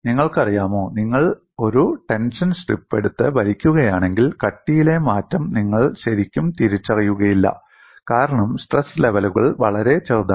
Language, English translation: Malayalam, You know, if you take a tension strip and then pull it, you would really not recognize the change in thickness that much, because the stress levels are reasonably small; the strain is going to be much smaller